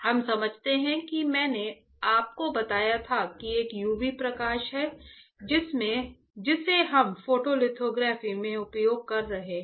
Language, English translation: Hindi, We understand that you I told you right there is a UV light that we are using it in photolithography